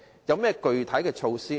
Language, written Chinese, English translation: Cantonese, 若然，具體措施為何？, If so what are the specific measures?